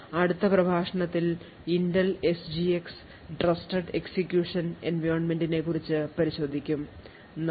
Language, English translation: Malayalam, In the next lecture will look at the Intel SGX trusted execution environment, thank you